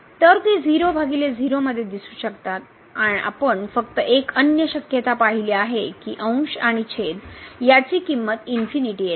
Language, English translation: Marathi, So, they may appear like in by we have just seen the other possibility is that the numerator and denominator both are infinity